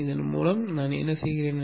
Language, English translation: Tamil, So that is what we do